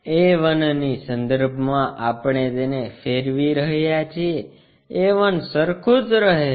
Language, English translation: Gujarati, About a 1 we are rotating it, keeping a 1 remains same